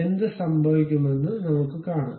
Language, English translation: Malayalam, Let us try that what will happen